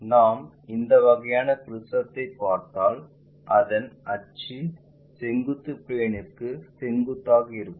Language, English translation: Tamil, Similarly, if we are looking at a prism perpendicular to vertical plane, so, axis of the prism is perpendicular to vertical plane